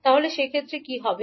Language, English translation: Bengali, Then in that case what will happen